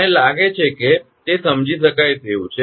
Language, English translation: Gujarati, I think it is understandable